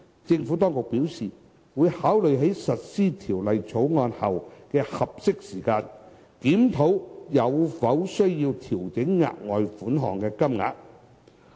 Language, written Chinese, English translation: Cantonese, 政府當局表示，會考慮在實施《條例草案》後的合適時間，檢討有否需要調整額外款項的金額。, The Administration has advised that it would review the need to adjust the amount of the further sum in due course after the implementation of the Bill